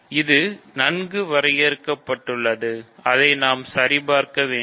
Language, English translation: Tamil, This is well defined, we need to check that